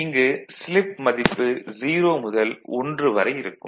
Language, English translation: Tamil, So, this is the part that slip is equal to 0